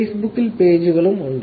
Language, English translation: Malayalam, So, that is only Facebook